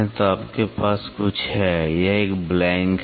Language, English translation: Hindi, So, you have something like a, this is a blank